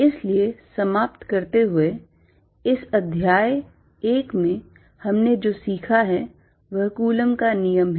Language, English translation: Hindi, So, to conclude, what we have learnt in this chapter one, is Coulomb’s law